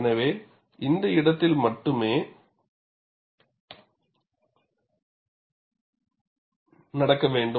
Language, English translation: Tamil, So, it should happen only in this region